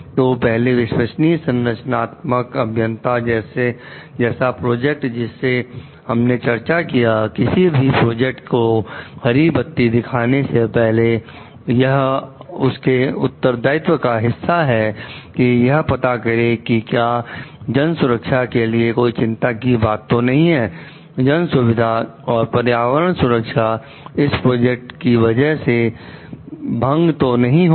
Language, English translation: Hindi, So, first trustworthy structural engineer like the project that we discussed, before giving green light for any project, it is a part of their responsibility to find out if there is any concern for public safety, public convenience and environmental protection that would be disturbed because of the project